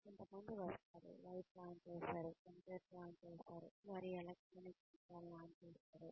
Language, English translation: Telugu, Some people will come, and switch on the lights, switch on the computer, switch on their electronic devices